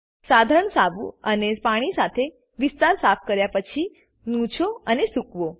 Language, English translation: Gujarati, After cleaning the area with mild soap and water, wipe it dry